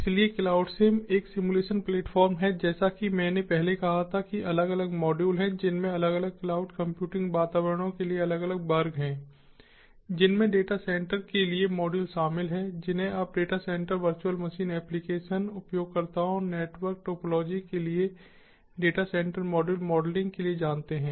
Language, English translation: Hindi, so cloud sim is a simulation platform, as i said before, which has different modules, which has different classes for different cloud computing environments, including modules for data center, you know, for modeling data centers, modules for data center, virtual machines, applications, users, network topology